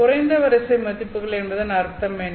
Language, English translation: Tamil, So, what do we mean by lowest order values